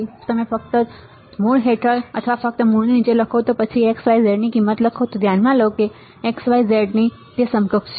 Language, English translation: Gujarati, If you just write under root or just under root like this and then write x, y, z value that is consider that it is equivalent to x, y, z all right